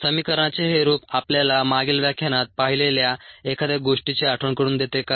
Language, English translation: Marathi, does this form of the equation remind you are something that we saw in the previous lecture